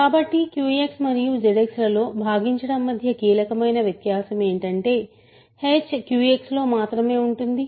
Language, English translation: Telugu, So, the crucial difference between dividing in Q X and Z X is that this h may live only in Q X